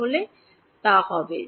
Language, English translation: Bengali, So, it will be